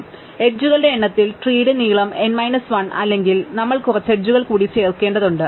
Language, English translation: Malayalam, So, so long as length of the tree in terms of number of edges is not n minus 1, we have to add some more edges